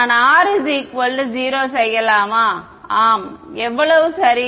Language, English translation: Tamil, Can I make R equal to 0 yes, how right